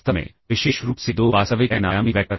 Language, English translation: Hindi, So, this is the dot product between 2 n dimensional real vectors